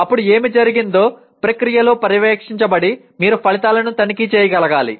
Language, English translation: Telugu, Then what happens having done that, having monitored during the process you should be able to check the outcomes